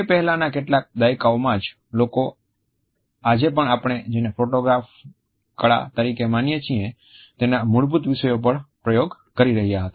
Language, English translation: Gujarati, It was only in some preceding decades that people were experimenting with the basics of what we today consider as photography art